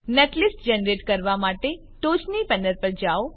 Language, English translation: Gujarati, For generating netlist, go to the top panel